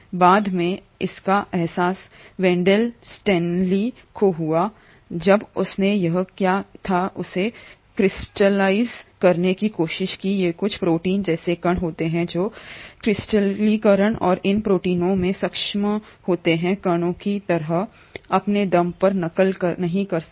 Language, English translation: Hindi, Later it was realised by Wendall Stanley, when he tried to crystallise what was here, he found that these are some protein like particles which are capable of crystallisation and these protein like particles, on their own, cannot replicate